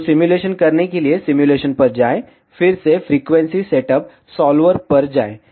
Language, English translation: Hindi, So, to do the simulation go to simulation, again go to frequency setup solver